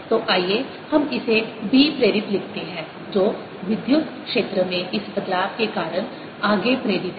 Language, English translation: Hindi, so let's write it: b induced, that is, the further induced due to this change in electric field